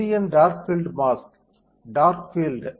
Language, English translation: Tamil, So, this is my dark field mask, dark field